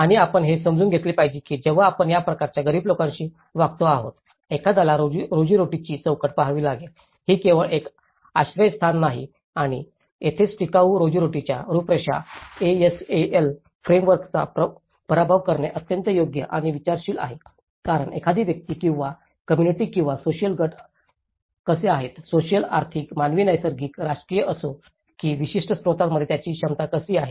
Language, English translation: Marathi, And we have to understand when we are dealing with this kind of poor communities, one has to look at the livelihoods framework, it is not just only a shelter and this is where, the defeats ASAL framework to sustainable livelihood framework is very apt and considering because how an individual or a communities or a social group, how their abilities to access certain resources whether it is a social, economic, human, natural, political